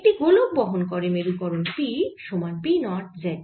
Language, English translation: Bengali, a sphere carries a polarization p equals p, naught z